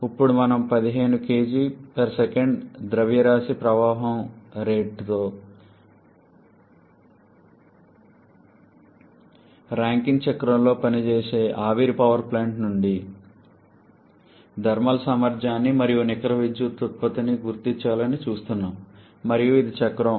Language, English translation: Telugu, Here we are looking to identify the thermal efficiency and net power output from a steam power plant operating on a Rankine cycle with a mass flow rate of 15 kg/s and this is the cycle